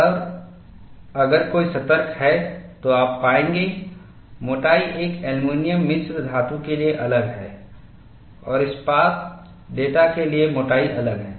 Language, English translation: Hindi, And if someone is alert, you would find, the thickness is different for an aluminum alloy and thickness is different for a steel data